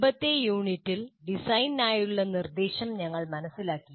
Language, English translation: Malayalam, In the earlier unit, we understood the instruction for design